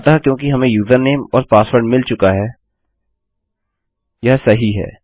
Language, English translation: Hindi, So because we have got username and password then thats fine